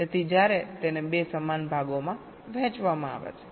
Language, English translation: Gujarati, so when it is divide into two equal parts